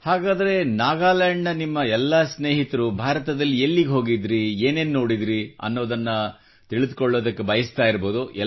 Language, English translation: Kannada, So, all your friends in Nagaland must be eager to know about the various places in India, you visited, what all you saw